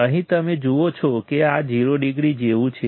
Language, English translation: Gujarati, Here you see this is like 0 degree right